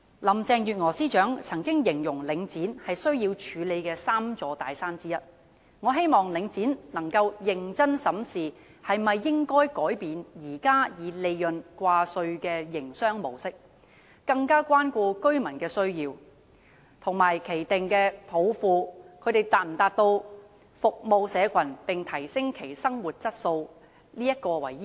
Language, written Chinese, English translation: Cantonese, 林鄭月娥司長曾經形容領展是需要處理的 "3 座大山"之一，我希望領展能夠認真審視應否改變現時以利潤掛帥的營商模式，更加關顧居民的需要，以有否達到其訂下"服務社群並提升其生活質素"的抱負為依歸。, Chief Secretary Carrie LAM has once described Link REIT as one of the Three Mountains to tackle . I hope Link REIT can seriously examine whether it should change its current profit - oriented mode of operation care more about the needs of residents and adhere to achieving its vision of serving and enhancing the lives of those around us